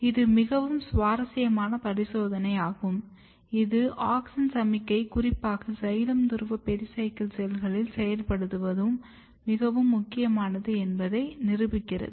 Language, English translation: Tamil, And you can see here this is very interesting experiment which also proves that it is very important to activate auxin signalling very specifically in xylem pole pericycle cells